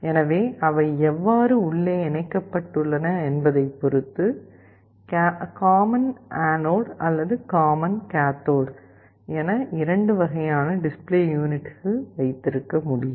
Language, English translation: Tamil, So, depending on how they are connected internally, you can have 2 different kinds of display units, common anode or common cathode